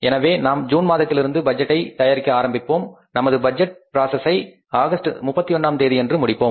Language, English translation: Tamil, So, we have to start the budget from the month of June we have to end up with the budgeting process by 31st August